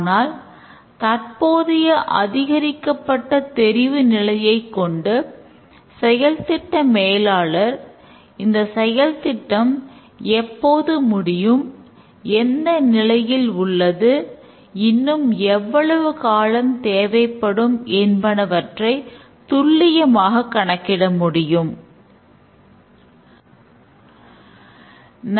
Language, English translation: Tamil, But now due to the increased visibility, the project manager can very accurately determine when the project at what stage it is and how long it will take to complete the work